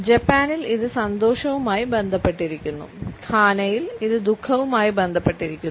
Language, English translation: Malayalam, In Japan it is associated with happiness; in Ghana on the other hand it is associated with a sense of sorrow